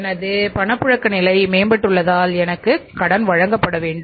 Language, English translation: Tamil, I have improved my liquidity position and I should be given the credit